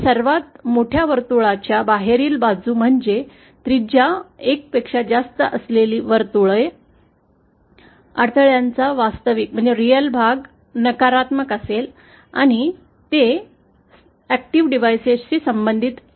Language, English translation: Marathi, Outside this biggest circle, by biggest circle I mean the circle having radius 1, the real part of the impedances will be negative and that corresponds to active devices